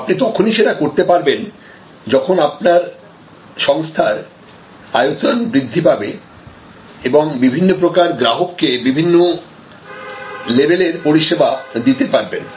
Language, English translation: Bengali, You can only do that when your organization is also grown to a size, where different types of customers can be handled with different levels of service